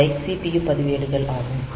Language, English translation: Tamil, So, they are the CPU registers